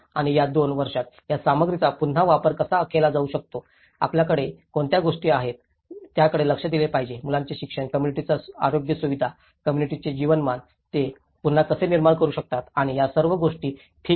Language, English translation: Marathi, And there are issues like how this material could be reused in these two years, what are the things we have to address, children schooling, the community's health facilities, communityís livelihood, how they can regenerate and all these, okay